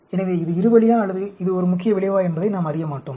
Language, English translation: Tamil, So, we will not know whether it is two way, or it is a main effect